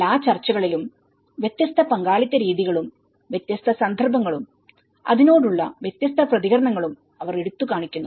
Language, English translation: Malayalam, In all the discussions, they highlights on different modes of participation and different context and different responses to it